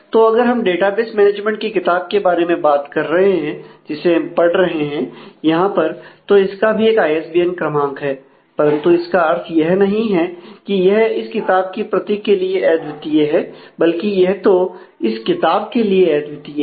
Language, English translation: Hindi, So, if we are talking about the database management book we are following here then that has a ISBN number, but that does not mean that number actually is unique for the book would not for a specific copy of the book